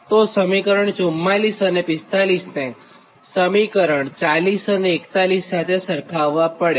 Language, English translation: Gujarati, this is equation forty four and this is equation forty five, right